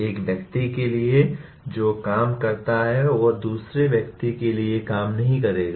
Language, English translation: Hindi, What works for one person will not work for another person